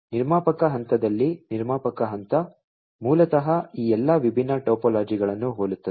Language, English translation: Kannada, So, in the producer phase the producer phase, basically, is similar across all these different topologies